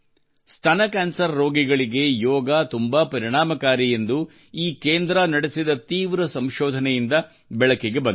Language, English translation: Kannada, An intensive research done by this center has revealed that yoga is very effective for breast cancer patients